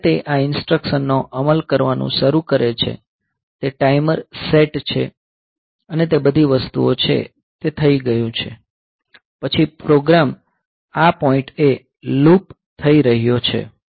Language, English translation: Gujarati, So, when it starts executing these instructions; so it is the timer is set and all those things, so that is done; then the program is looping at this point